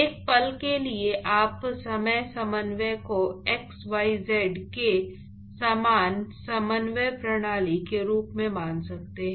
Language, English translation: Hindi, For a moment you could assume time coordinate as a similar coordinate system as xyz